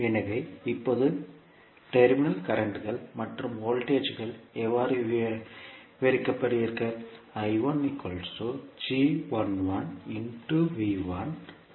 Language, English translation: Tamil, So now, how you will describe the terminal currents and voltages